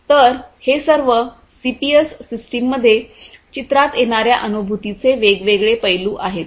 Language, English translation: Marathi, So, all of these are different aspects of cognition you know that come into picture in the CPS systems